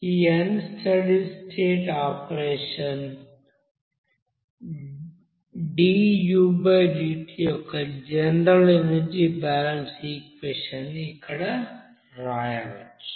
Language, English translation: Telugu, And general unsteady state energy balance equation how we can write